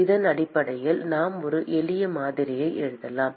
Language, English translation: Tamil, And based on this we can write a simple model